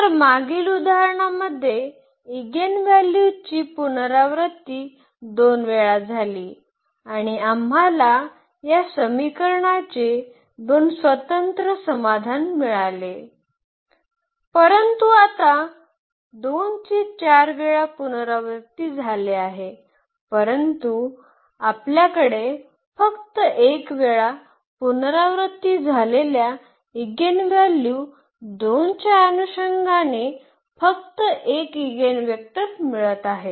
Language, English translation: Marathi, Whereas, in the previous example the eigenvalue was repeated two times and we were also getting two linearly independent solution of this equation, but now though the 2 was repeated 4 times, but we are getting only 1 eigenvector corresponding to this 4 times repeated eigenvalue 2